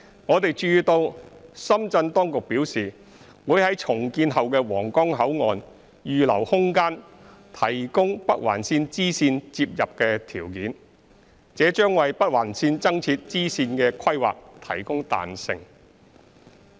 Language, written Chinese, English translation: Cantonese, 我們注意到深圳當局表示會於重建後的皇崗口岸預留空間提供北環綫支綫接入的條件，這將為北環綫增設支線的規劃提供彈性。, We also note that the Shenzhen authorities has announced that the land adjacent to the redeveloped Huanggang Port will be reserved for facilities connecting the bifurcation of the Northern Link this will add flexibility to the planning and addition of the bifurcation of the Northern Link